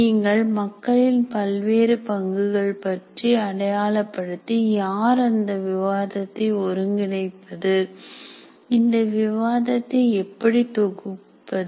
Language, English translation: Tamil, You have to identify different roles to the people and who coordinates the, coordinates the discussion